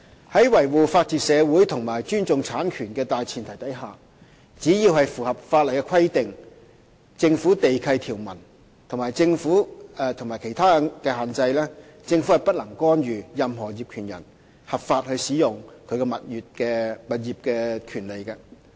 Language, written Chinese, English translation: Cantonese, 在維護法治社會及尊重產權的大前提下，只要是符合法例規定、政府地契條文和其他限制，政府便不能干預任何業權人合法使用其物業的權利。, On the premise of upholding the rule of law and respecting property rights the Government cannot intervene in the owners right of lawful use of its property as long as it complies with the statutory requirements Government Lease conditions and other restrictions